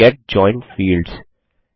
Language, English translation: Hindi, Get joined fields